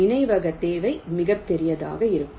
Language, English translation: Tamil, ok, memory requirement will be huge